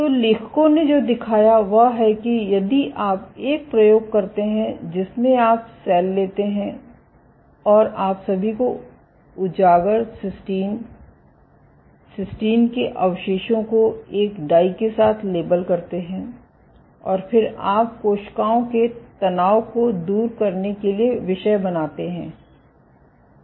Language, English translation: Hindi, So, what the authors showed, that if you do an experiment in which you take cells and you label all exposed cysteine, cysteine residues with one dye, and then you subject the cells to shear stress